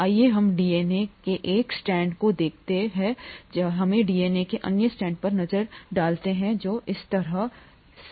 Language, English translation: Hindi, Let us look at one strand of the DNA here like this, let us look at the other strand of DNA here that is like this